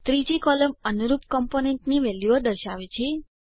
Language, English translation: Gujarati, The third column shows values of the corresponding components